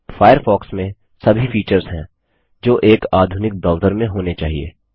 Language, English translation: Hindi, Firefox has all the features that a modern browser needs to have